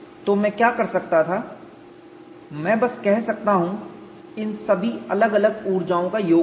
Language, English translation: Hindi, So, what I could do is I could simply say some all these individual energies